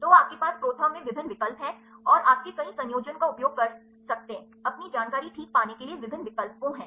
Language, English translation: Hindi, So, you have various options in ProTherm and you can use the multiple combination of different options to get your information fine